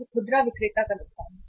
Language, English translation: Hindi, It is a loss of the retailer